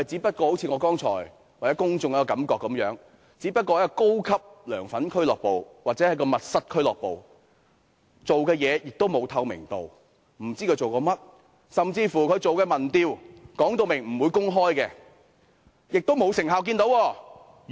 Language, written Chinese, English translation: Cantonese, 正如我剛才所說，我和公眾均感覺到它只不過是一個高級"梁粉俱樂部"或"密室俱樂部"，做事沒有透明度，不知它做些甚麼；甚至它進行的民調，它亦說明不會公開，而我們亦沒有見到其成效。, As I mentioned just now the public and I feel that it is merely a high - class LEUNGs fan club or backroom club which works with no transparency . We have no idea what it does . It has even stated clearly that it will not disclose the opinion surveys conducted by it and we have not seen any of its results